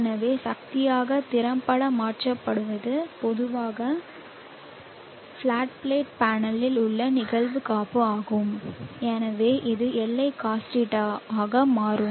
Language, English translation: Tamil, So what is effectively converted as power is the incident insulation normally on the flat plate panel, so this will become Li cos